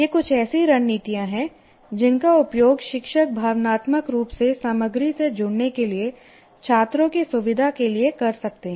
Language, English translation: Hindi, There are some of the strategies teacher can use to facilitate students to emotionally connect with the content